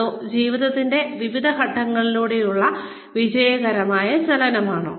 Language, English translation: Malayalam, Or, is it successful movement, through various stages of life